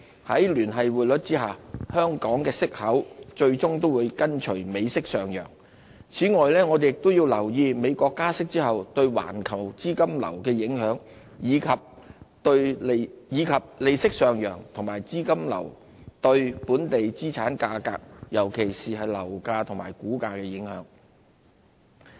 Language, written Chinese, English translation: Cantonese, 在聯繫匯率下，香港息口最終會跟隨美息上升，此外，我們亦要留意美國加息後對環球資金流的影響，以及利息上揚和資金流對本地資產價格，尤其是樓價和股價的影響。, Under the Linked Exchange Rate System Hong Kongs interest rates will eventually rise alongside the United States counterpart . Also we have to pay attention to how rate hikes in the United States impact global capital flow and how rate hikes and the capital flow affect local asset prices particularly property and share prices